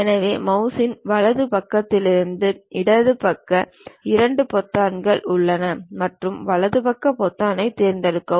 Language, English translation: Tamil, So, for mouse right side, left side 2 buttons are there and pick right side button